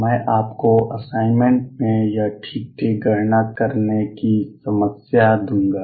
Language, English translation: Hindi, I will give you in the assignment the problem to calculate this exactly